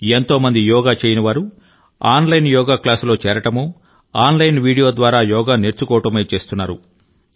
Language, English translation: Telugu, Many people, who have never practiced yoga, have either joined online yoga classes or are also learning yoga through online videos